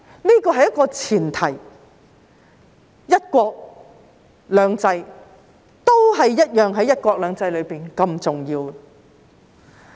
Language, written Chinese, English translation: Cantonese, 這是一個前提，"一國"與"兩制"在"一國兩制"中同樣重要。, One country and two systems are equally important in one country two systems